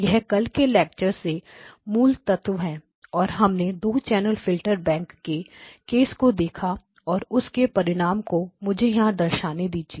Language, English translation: Hindi, So, this is the key element from yesterday’s lecture and then we looked at the 2 channel filter bank case and the result at which we stop let me just pick it up from there